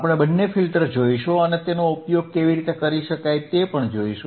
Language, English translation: Gujarati, We will see both the filters and we will see how it can be used